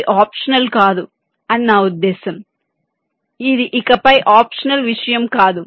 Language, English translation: Telugu, it is not an optional ah, i means this is not optional thing anymore